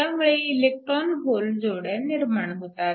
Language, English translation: Marathi, So, These are the number of electron hole pairs that are generated